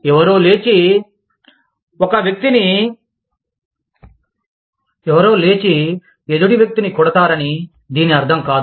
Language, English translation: Telugu, It does not mean that, somebody will get up, and beat up the other person